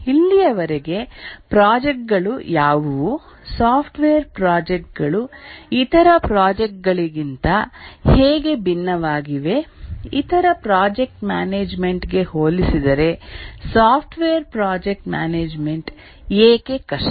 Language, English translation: Kannada, We have so far looked at what are the projects, how is the software projects differed from other projects, why is software project management difficult compared to other project management